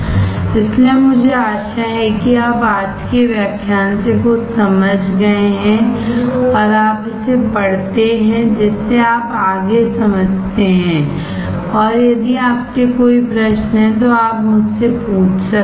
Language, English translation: Hindi, So, I hope that you have understood something from today's lecture, and you read it you understand further, and if you have any questions you can ask me